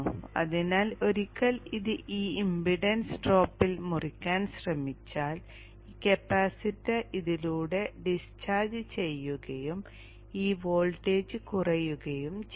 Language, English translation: Malayalam, So once this tries to cut in this impedance drops which means this capacitor will discharge through this and this voltage will come down